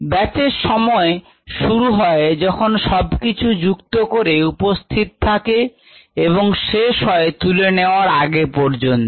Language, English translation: Bengali, the batch time begins when everything, after everything has been added, and the batch time ends before things are removed